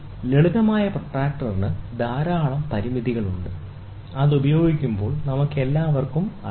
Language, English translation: Malayalam, Simple protractor has lot of limitations, which we all know while using